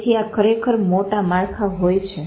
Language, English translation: Gujarati, So these are the actually big structure